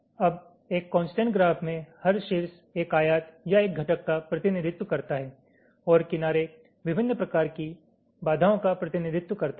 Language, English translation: Hindi, now, in a constraint graph, every vertex represents a rectangle or a component and the edges, they represent various kinds of constraints